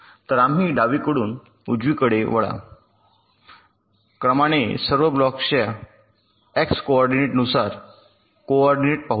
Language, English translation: Marathi, so we move from the left side to the right side progressively according to the x coordinates of all the blocks